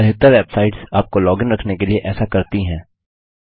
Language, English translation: Hindi, A lot of websites to do this to keep you logged in